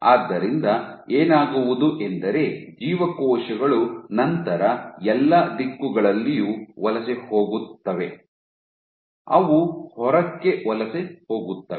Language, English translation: Kannada, So, what will happen is the cells will then migrate in all directions, they will migrate outward